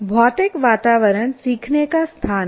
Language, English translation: Hindi, Physical environment actually is the learning spaces